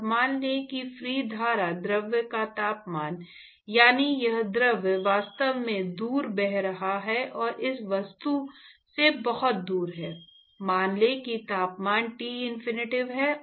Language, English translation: Hindi, And let us say that the temperature of the free stream fluid; that is, this fluid is actually flowing past and very far away from this object, let us say that the temperature is Tinfinity